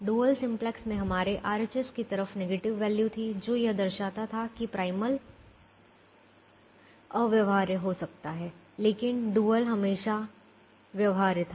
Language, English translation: Hindi, in the dual simplex we had negative values on the right hand side indicating that the primal could be infeasible, but the dual was always feasible